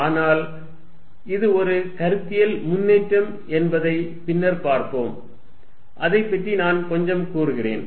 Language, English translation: Tamil, But, we will see later that this is a conceptual advance, let me just talk a bit about it